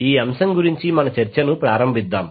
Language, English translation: Telugu, So let us start our discussion about the topic